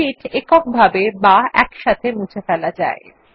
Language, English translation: Bengali, Sheets can be deleted individually or in groups